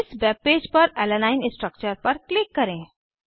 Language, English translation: Hindi, Click on Alanine structure on this webpage